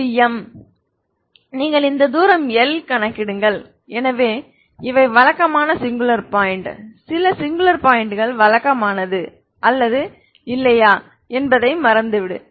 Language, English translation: Tamil, You calculate this distance this is M you calculate this distance L, so these are the regular singular point, some singular points forget about the regular or not 0 is a regular singular point L and M are singular points